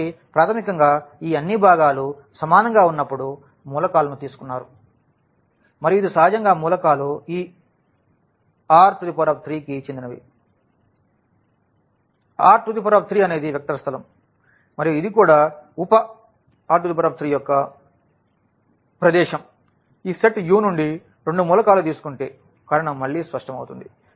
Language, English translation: Telugu, So, basically we have taken the elements when all these components are equal and this naturally the elements belong to this R 3; R 3 is a is a vector space and this is also a subspace of R 3 the reason is again clear if we take two elements from this set U